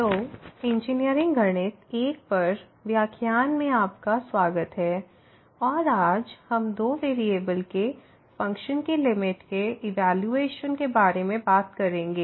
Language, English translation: Hindi, So, welcome back to the lectures on Engineering Mathematics I and today, we will be talking about Evaluation of Limit of Functions of two variables